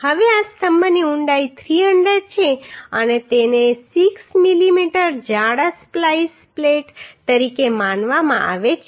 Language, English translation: Gujarati, Now this column depth is 300 and this is assumed as 6 mm thick splice plate